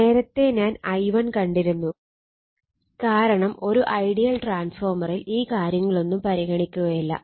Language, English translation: Malayalam, Earlier I saw I 1 I one because for ideal transfer all these things are neglected